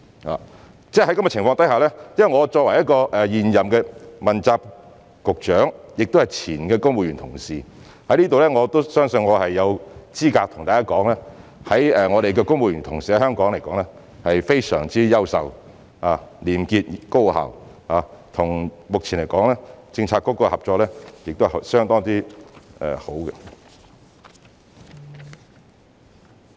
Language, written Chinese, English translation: Cantonese, 在這樣的情況之下，我作為現任的問責局長，亦是前公務員同事，我相信我有資格向大家說明，香港的公務員同事是非常優秀、廉潔、高效的，目前與各政策局的合作是相當好的。, As the incumbent politically accountable official and an ex - civil servant I believe that I am in a position to say that civil servants in Hong Kong are marvellous honest and highly efficient and cooperate very well with various bureaux